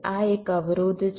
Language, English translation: Gujarati, this is one constraint